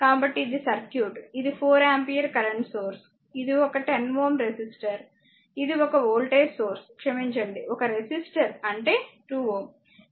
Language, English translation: Telugu, So, this is the circuit, this is your ah 4 ampere current source , this is your one t ohm resistor is there, this is one voltage source ah sorry one resistor is that 2 ohm